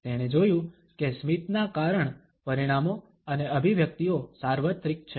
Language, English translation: Gujarati, He noticed that the cause consequences and manifestations of a smile are universal